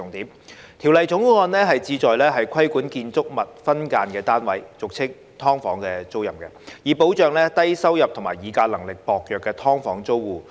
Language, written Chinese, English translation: Cantonese, 《2021年業主與租客條例草案》旨在規管建築物分間單位的租賃，以保障低收入及議價能力薄弱的"劏房"租戶。, The Landlord and Tenant Amendment Bill 2021 the Bill seeks to regulate the tenancies of subdivided units SDUs in buildings so as to protect low - income SDU tenants with weak bargaining power